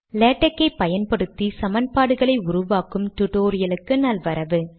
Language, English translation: Tamil, Welcome to this tutorial on creating equations through latex